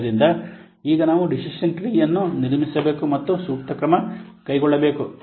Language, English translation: Kannada, So now we have to construct the decision tree and take the appropriate action